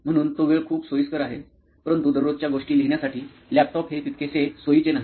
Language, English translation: Marathi, So that is very convenient that time but laptop is not that convenient for writing everyday thing